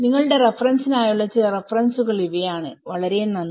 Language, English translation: Malayalam, And these are some of the references for your reference and thank you very much